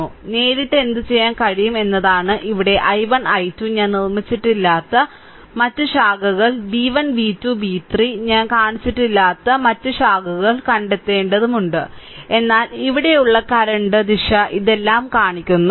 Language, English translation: Malayalam, So, directly what you can ah what you can do is that here i 1 i 2 other branches I have not made any your what you call ah you have to find out v 1 v 2 v 3 other branches I have not shown the current, but direction of the current here all this shown right